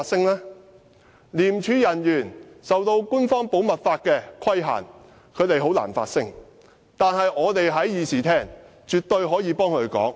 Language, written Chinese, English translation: Cantonese, 由於廉署人員受官方保密法規限，他們很難發聲，但我們在議事廳內絕對可以替他們發聲。, It is very difficult for the ICAC officers to speak up as they are subject to official confidentiality requirements but we can definitely speak up for them in this Chamber